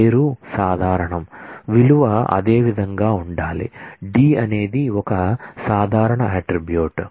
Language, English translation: Telugu, The name is common; the value will have to be same similarly d is a common attribute